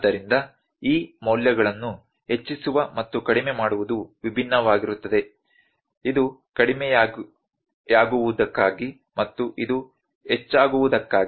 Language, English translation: Kannada, So, the load increasing and decreasing these values are different, this is for decreasing and this is for increasing